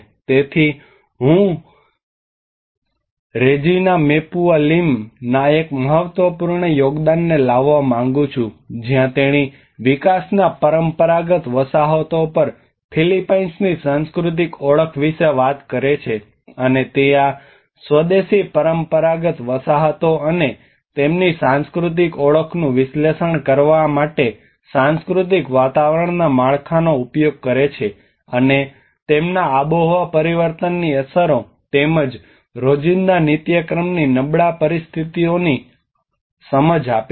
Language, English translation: Gujarati, So I would like to bring one of the important contribution of Regina Mapua Lim where she talks about the Philippines cultural identity on traditional settlements in development, and she uses a framework of cultural environment for analysing these indigenous traditional settlements and their cultural identity, and their understanding towards the impacts of the climate change and as well as the day to day routine vulnerable situations